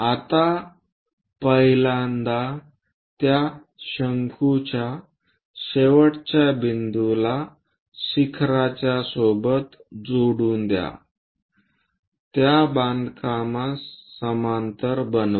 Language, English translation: Marathi, Now join the first last point with the peak or apex of that cone, parallel to that construct